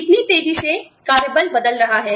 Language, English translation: Hindi, How fast, the workforce turns over